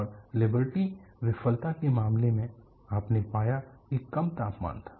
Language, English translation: Hindi, And in the case of Liberty failure, you found that there was low temperature